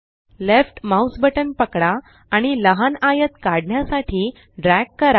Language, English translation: Marathi, Hold the left mouse button and drag to draw a small rectangle